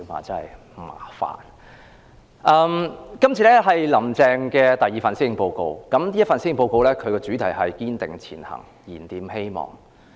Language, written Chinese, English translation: Cantonese, 這是"林鄭"的第二份施政報告，主題是"堅定前行燃點希望"。, This is the second policy address of Carrie LAM and the theme is Striving Ahead Rekindling Hope